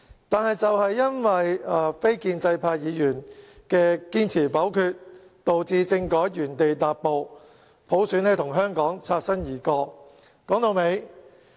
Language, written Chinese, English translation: Cantonese, 但是，正因為非建制派議員堅持否決政改方案，令政改原地踏步，普選與香港擦身而過。, But precisely because non - establishment Members insisted on voting against the constitutional reform package the constitutional reform suffered a standstill and universal suffrage brushed past Hong Kong